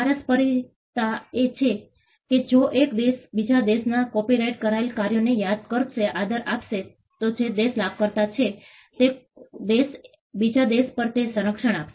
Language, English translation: Gujarati, Reciprocity is if one country would respect the copyrighted works of another country, the country which is the beneficiary will also extend the same protection to the other country